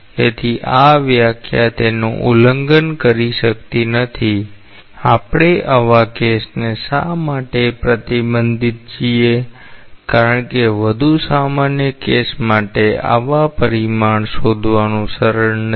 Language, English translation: Gujarati, So, this definition cannot violate that see why we are restricted to such a case; because for a more general case it is not easy to find such parameter